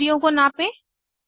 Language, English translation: Hindi, Measure perpendicular distances